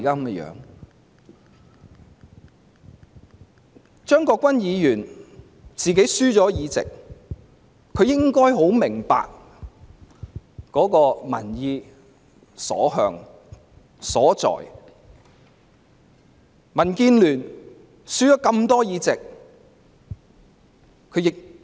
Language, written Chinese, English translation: Cantonese, 既然張國鈞議員輸掉議席，他也應明白到民意的所向和所在。, Since Mr CHEUNG Kwok - kwan has lost his seat he should understand the popular views and public opinions